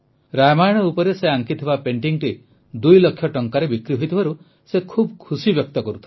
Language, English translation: Odia, He was expressing happiness that his painting based on Ramayana had sold for two lakh rupees